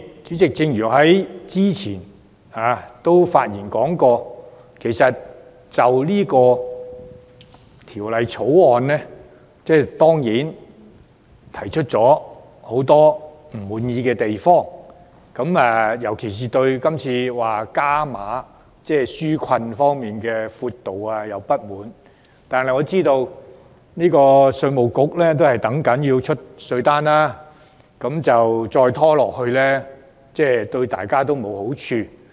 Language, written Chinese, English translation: Cantonese, 主席，我之前已表達對《條例草案》感到不滿的地方，我尤其不滿今次加碼紓困方案的闊度，但我知道稅務局正等待寄出稅單，再拖延下去對大家也沒有好處。, President I have expressed my dissatisfaction about the Bill earlier particularly the extent of the enhanced relief measures . However I understand that the Inland Revenue Department is ready to send out the tax demand notes and further delay will not be beneficial to any party